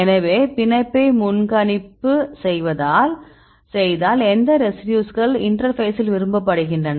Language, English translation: Tamil, So, if you do the binding propensity which residues are preferred at the interface